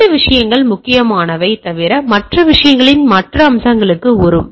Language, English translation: Tamil, So, these are 2 things are important, other than other miss will come to that other aspects of the things